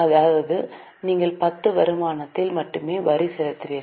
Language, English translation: Tamil, That means you will pay tax only on the income of 10